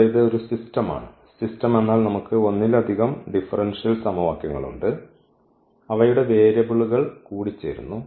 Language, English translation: Malayalam, So, here it is a system, system means we have a more than one differential equations and their variables are coupled